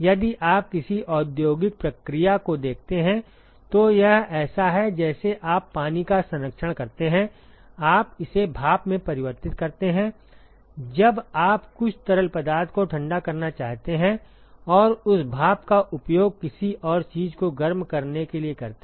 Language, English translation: Hindi, If you look at any industrial process it is like you conserve water you convert it into steam when you want to cool some fluid and use that steam to heat something else